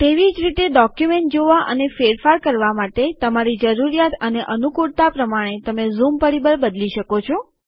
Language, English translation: Gujarati, Likewise, you can change the zoom factor according to your need and convenience for viewing and editing the documents